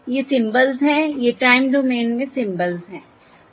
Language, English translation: Hindi, these are the symbols in the time domain